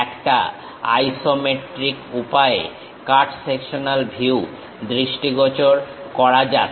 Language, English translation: Bengali, Let us visualize cut sectional view in the isometric way